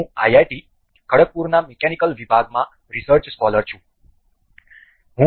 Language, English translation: Gujarati, I am research scholar in the Mechanical Department in IIT, Khargpur